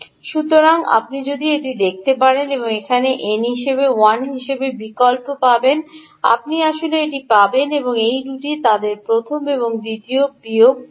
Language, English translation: Bengali, so you can see that if you substitute n as one here ah, you will actually get this one and this two, their first and second ah, v in minus